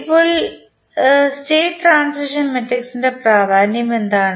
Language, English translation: Malayalam, Now, what is the significance of state transition matrix